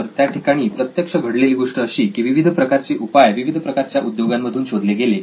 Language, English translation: Marathi, So, what actually happened was various parts of solutions were derived from different types of industries